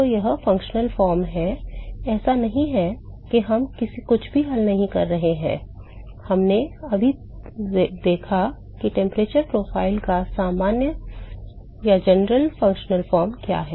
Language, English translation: Hindi, So, this is the general functional form, not that we are not solved anything, we have just observed what is the general functional form of the temperature profile